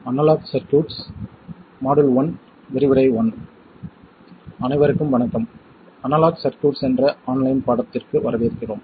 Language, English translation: Tamil, Hello everyone, welcome to the online course Analog Circuits